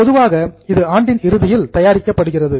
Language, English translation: Tamil, Normally it is prepared at the end of the year